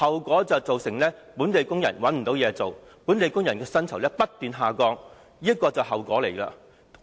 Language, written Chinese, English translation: Cantonese, 便是造成本地工人無法找到工作，薪酬不斷下降，這就是後果。, Local workers were unable to find jobs and pay kept dwindling . These were the consequences